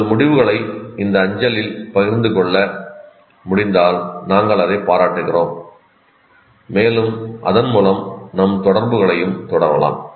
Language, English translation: Tamil, And we would, if you can share your results on this mail, we would appreciate and possibly we can also continue our interaction through that